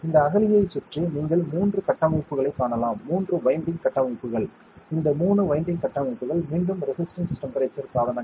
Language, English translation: Tamil, Around this trench, you can see 3 structures right, 3 winding structures these 3 winding structures are again resistance temperature devices